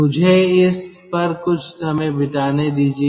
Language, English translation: Hindi, let me spend some time on this